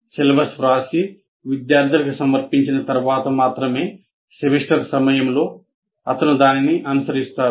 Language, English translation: Telugu, Only thing after writing the syllabus and presenting to the students during the semester, he is expected to follow that